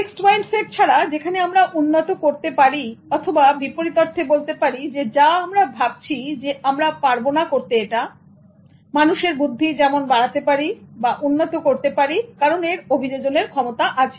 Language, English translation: Bengali, Unlike the fixed mindset that we might have developed or contrary to what we think that we cannot do that, human intelligence as such can be developed because of its adaptable nature